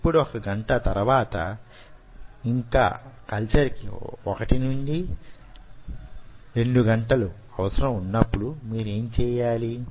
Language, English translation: Telugu, ok, now, after one hour, while still the culture is one to two hours, what you do